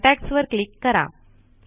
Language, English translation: Marathi, Click on contacts